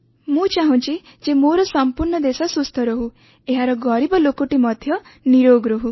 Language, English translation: Odia, "I wish that my entire country should be healthy and all the poor people also should remain free from diseases